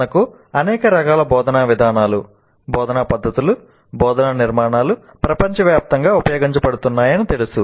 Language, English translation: Telugu, We know that we have a wide variety of instructional approaches, instructional methods, instructional architectures that are being used across the world